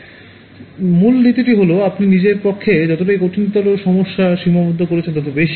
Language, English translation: Bengali, So, the basic principle is the more you limit yourselves the harder you make a problem